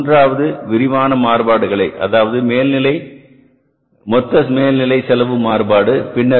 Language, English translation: Tamil, So we will first calculate the total overhead cost variance